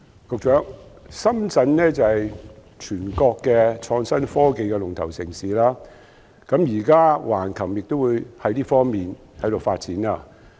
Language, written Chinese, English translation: Cantonese, 局長，深圳是全國創新科技龍頭城市，現在橫琴也朝這方向發展。, Secretary Shenzhen is a leading city in China in respect of innovation and technology and Hengqin is now developing in this direction